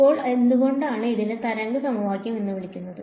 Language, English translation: Malayalam, Now, why is it called a wave equation